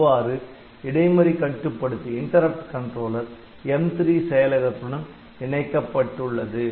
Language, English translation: Tamil, So, this interrupt controller has been added in the M3 processor